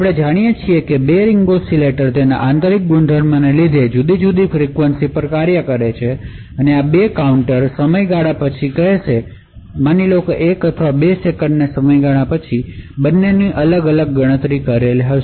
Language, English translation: Gujarati, So therefore, what we know is that since the 2 ring oscillators are operating at different frequencies due their intrinsic properties, these 2 counters would after a period of time say like 1 or 2 seconds would obtain a different count value